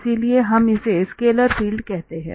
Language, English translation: Hindi, So therefore, we have the we call it a scalar field